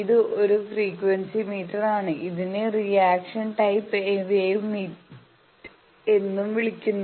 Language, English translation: Malayalam, It is a frequency meter where reaction type wave meter also it is called